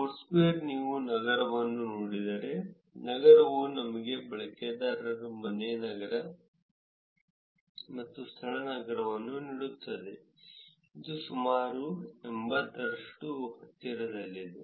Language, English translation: Kannada, Foursquare, if you look at city, city gives you the users' home city and venue city; it is about close to eighty percent